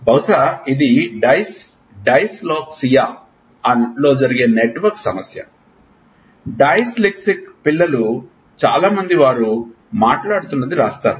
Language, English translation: Telugu, Probably, this is the problem of network which happens in dyslexia, lot of dyslexic kids will write what they are speaking